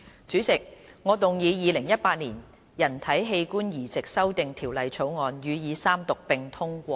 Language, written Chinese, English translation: Cantonese, 主席，我動議《2018年人體器官移植條例草案》予以三讀並通過。, President I move that the Human Organ Transplant Amendment Bill 2018 be read the Third time and do pass